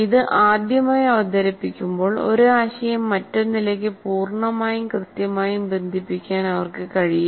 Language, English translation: Malayalam, When it is first time presented, they will not be able to fully or accurately connect one to the other